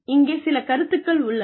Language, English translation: Tamil, Some concepts here